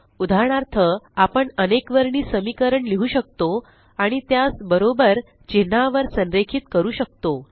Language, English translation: Marathi, For example, we can write simultaneous equations and align them on the equal to character